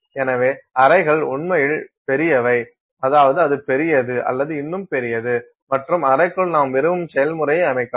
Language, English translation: Tamil, So, the chambers are actually kind of large, I mean it is as large as that or is even larger and inside the chamber you can set up the process that you want